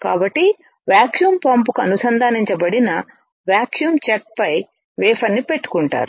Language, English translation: Telugu, So, wafer is held on to the vacuum chuck which is connected right to the vacuum pump